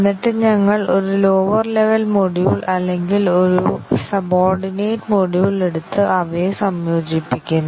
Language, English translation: Malayalam, And then we take one lower level module or a subordinate module and integrate them